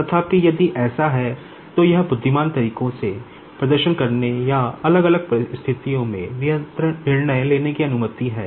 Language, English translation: Hindi, However, if it if it is having the permission to perform in the intelligent way or take the decision in the varying situations